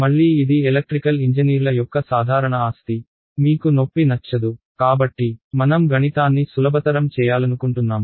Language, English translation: Telugu, Again this is it is a simple property of electrical engineers we do not like pain so we want to make math easier right